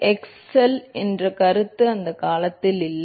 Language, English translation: Tamil, Excel was, the concept of excel itself did not exists in those days